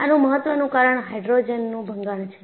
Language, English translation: Gujarati, One of the important causes is hydrogen embrittlement